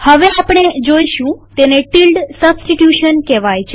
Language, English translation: Gujarati, The next thing we would see is called tilde substitution